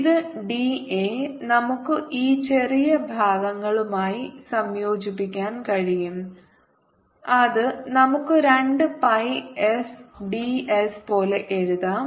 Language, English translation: Malayalam, and the integration these d d a is we can integrate over this small parts which we can write like two pi s by s